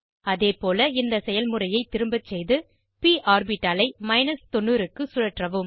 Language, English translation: Tamil, Likewise, repeat the process and rotate the p orbital to 90